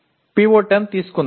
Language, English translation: Telugu, Let us take PO10